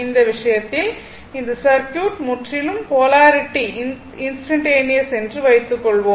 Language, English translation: Tamil, Suppose, in this case, in this case circuit is purely polarity is instantaneous